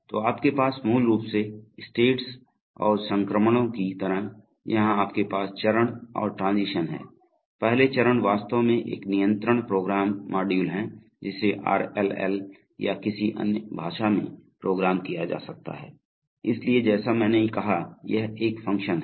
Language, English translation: Hindi, So you have basically, just like states and transitions here you have steps and transitions, so each step is actually a control program module which may be programmed in RLL or any other language, so as I said it is a function